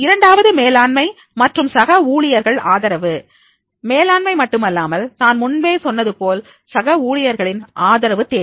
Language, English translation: Tamil, Second is management and peer support, not only the management support as I mentioned, but also there will be the peer support is required